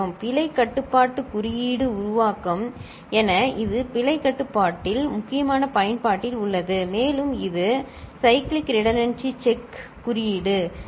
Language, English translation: Tamil, Yes it is of important use in error control as error control code generation, and this is used in what is called a Cyclic Redundancy Check code, CRC code ok